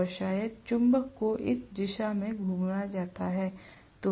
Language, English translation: Hindi, And maybe the magnet is rotated in this direction